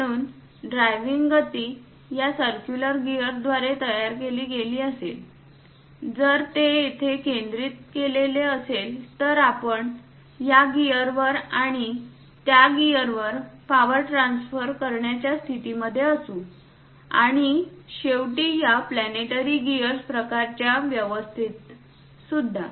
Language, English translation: Marathi, So, here if the driving motion is done by this circular gear if it is centred that; we will be in a position to transfer this power to this gear and that gear and finally through this planetary gear kind of arrangement also